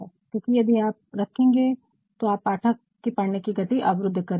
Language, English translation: Hindi, Because, if you put it that will actually block the flow of the readers reading